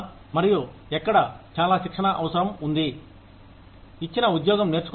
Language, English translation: Telugu, And, where, much training is required, to learn a given job